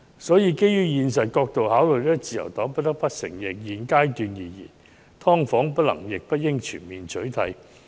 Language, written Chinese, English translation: Cantonese, 所以，基於現實考慮，自由黨不得不承認，在現階段而言，"劏房"不能亦不應全面取締。, Hence out of practical considerations the Liberal Party cannot but admit that at this stage there cannot and should not be a total ban on subdivided units